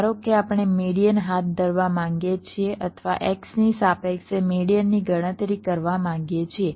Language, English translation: Gujarati, suppose we want to carry out the median or calculate the median with respect to x